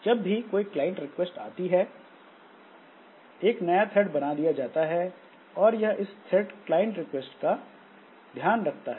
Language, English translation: Hindi, So this is a one, the new thread is created and that way that thread takes care of the client request